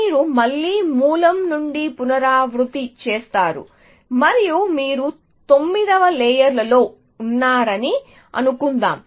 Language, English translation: Telugu, You regenerate from the source again and so suppose think you are at the ninth layer